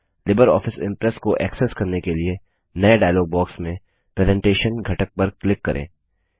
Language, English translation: Hindi, In order to access LibreOffice Impress, click on the Presentation component